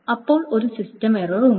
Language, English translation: Malayalam, Then there is a system error